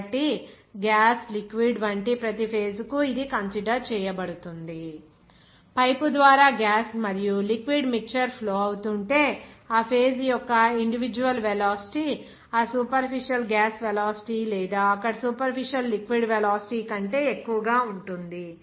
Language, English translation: Telugu, So, it will be considered for each phase like gas, liquid, if there is a mixture of gas and liquid is flowing through the pipe, then the individual velocity of that phase will be higher than that superficial gas velocity or superficial liquid velocity there